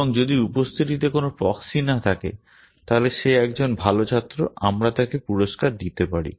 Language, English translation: Bengali, And if there are no proxies in the attendance then he is a good student we can give him an award or her an award